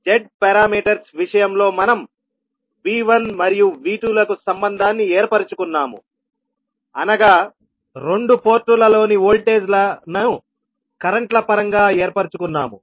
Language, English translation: Telugu, So in case of z parameters we stabilized the relationship for V1 and V2 that is the voltages at the two ports in terms of the currents